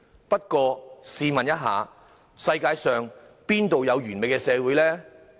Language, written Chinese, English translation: Cantonese, 不過，試問一下，世界上哪有完美的社會？, That said may I ask whether there is any perfect society in the world?